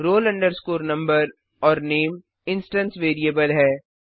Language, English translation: Hindi, roll number and name are the instance variables